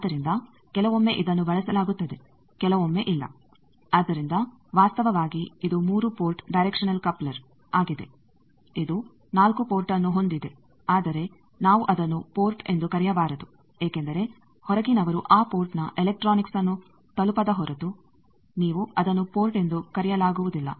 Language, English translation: Kannada, So, sometimes it is used sometimes not so this is actually 3 port directional coupler it has 4 port, but we should not call it a port because unless and until outsiders can access the electronics of that port you cannot call it a port